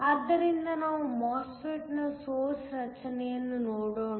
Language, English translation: Kannada, So, let us look at the basic structure of a MOSFET